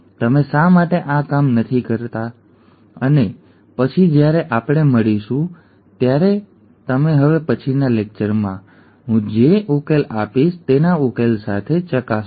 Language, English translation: Gujarati, Why donÕt you work this out and then when we meet you can check the solution with the solution that I will provide in the next lecture